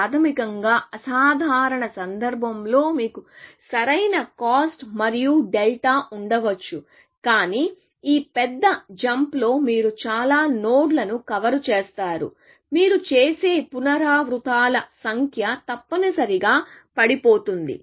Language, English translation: Telugu, Basically, says that in the worst case, you may have optimal cost plus delta, but in this big jump, you would cover many nodes, so the number of iterations that you do would drop, essentially